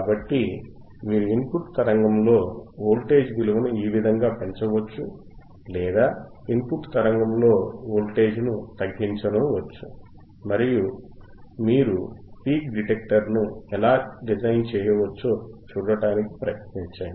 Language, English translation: Telugu, So, this is how you can you can increase the voltage height and in the input signal or decrease voltage in the input signal and try to see how you can how you can design the peak detector